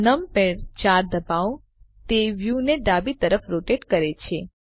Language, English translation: Gujarati, Press numpad 4 the view rotates to the left